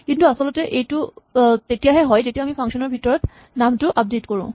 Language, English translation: Assamese, But actually this happens only when we update the name inside the function